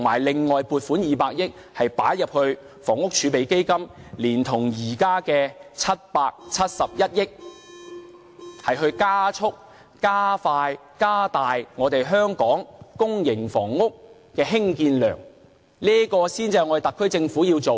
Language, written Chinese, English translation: Cantonese, 另外，向房屋儲備金撥款200億元，連同現時的771億元，加速加大香港公屋房屋的興建量，這才是特區政府要做的事情。, Besides it may allocate 20 billion to a housing reserve fund on top of the 77.1 billion in order to speed up and increase the volume of Hong Kongs housing construction . These are things that the SAR Government should do